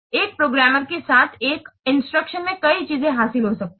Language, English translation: Hindi, In one instruction, the programmer may achieve several things